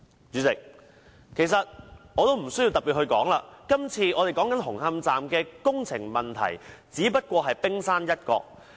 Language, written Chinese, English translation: Cantonese, 主席，其實不需要我特別說明，今次我們討論的紅磡站工程問題，只不過是冰山一角。, President actually I do not need to highlight but the construction problem of Hung Hom Station that we are discussing today is just the tip of the iceberg